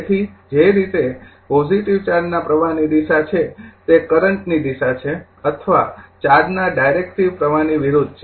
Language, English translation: Gujarati, So, the way the direction of the positive flow charge is these are the direction of the current or the opposite to the directive flow of the charge